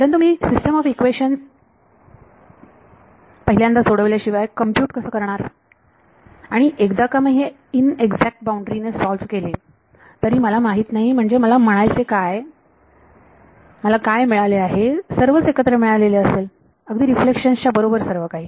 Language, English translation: Marathi, How do I compute without solving the system of equations first and once I solve it with a inexact boundary I do not know I mean what I have got is everything put together reflections everything put together